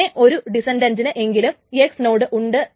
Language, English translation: Malayalam, So, at least one descendant has an X lock